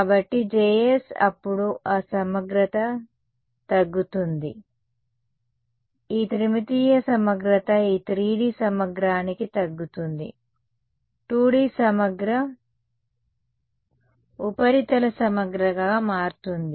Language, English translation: Telugu, So, then that integral will get reduce to; this three dimensional integral will get reduce to a this 3D integral will become 2D integral right, surface integral right